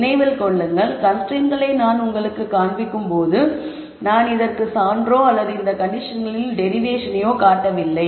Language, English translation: Tamil, Keep in mind that while I have shown you the conditions, I have not shown a proof or a derivation of these conditions in a formal manner